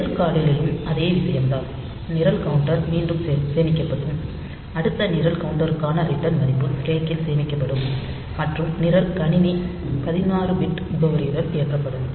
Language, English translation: Tamil, And in case of lcall, this again the same thing this program counter will be saved next program counter value for return will be saved into the stack and program computer will be loaded with the 16 bit address